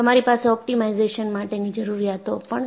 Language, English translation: Gujarati, You also have requirement for optimization